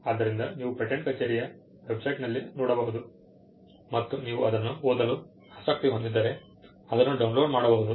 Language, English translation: Kannada, So, you can go to the patent office website and you could download it if you are interested in reading it